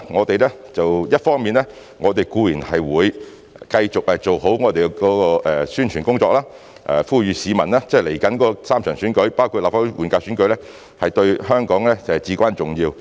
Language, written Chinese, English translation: Cantonese, 但一方面，我們固然會繼續做好宣傳工作，即是未來的3場選舉，包括立法會換屆選舉，對香港是至關重要。, However we will certainly continue to do a good job in respect of our publicity work . The three upcoming elections including the Legislative Council General Election are of paramount importance to Hong Kong